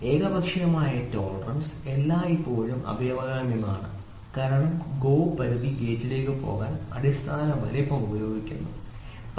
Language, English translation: Malayalam, The unilateral tolerance is always preferred because the basic size is used to go for GO limit gauge, ok